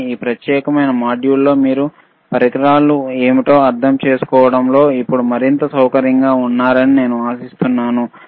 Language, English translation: Telugu, But, but I hope that with this particular set of modules, you are now able to or you are more comfortable in understanding what are these equipment’s are